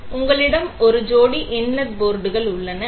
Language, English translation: Tamil, So, you have a pair of inlet ports